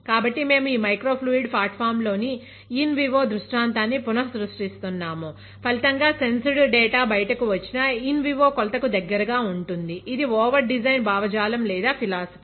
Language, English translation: Telugu, So, we are recreating the in vivo scenario in this microfluidic platform; as a result the whatever sensed data comes out, will be closer to an in vivo measurement, that is a over design ideology or philosophy